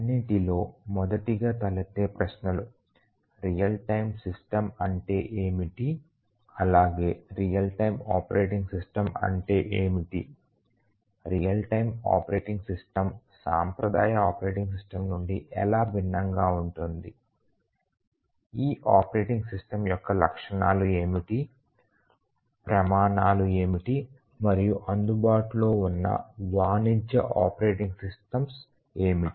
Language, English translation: Telugu, So, the first question that we need, somebody would ask is that what is a real time system, what is a real time operating system, how is real time operating system different from a traditional operating system, what are the features of this operating system, what are the standards etcetera, what are the commercial operating systems that are available